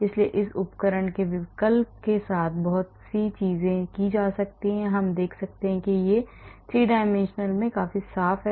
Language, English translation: Hindi, So, lot of things can be done with it with this tool options we can look at that this is quite a clean in 3 dimensional